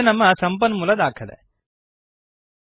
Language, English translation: Kannada, This is our source document